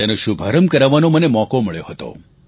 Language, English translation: Gujarati, I had the opportunity to inaugurate it